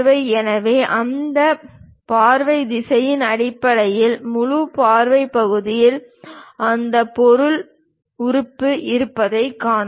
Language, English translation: Tamil, So, based on those view directions, we can see that the front view portion have that material element